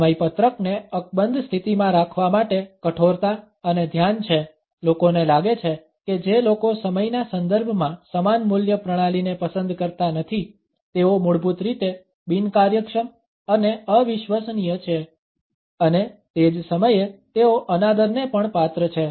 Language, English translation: Gujarati, The rigidity and the focus to keep the schedules intact conditions, people to think that those people who do not subscribe to similar value system in the context of time are basically inefficient and unreliable and at the same time they are rather disrespectful